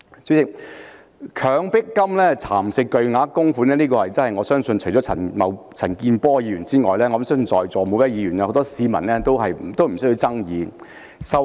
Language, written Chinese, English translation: Cantonese, 主席，"強迫金"蠶食巨額供款，我相信除了陳健波議員外，在座每位議員和很多市民對此都沒有爭議。, President I believe that except Mr CHAN Kin - por every Member sitting here as well as the people out there will not dispute that large amounts of the Coercive Provident Fund have been eroded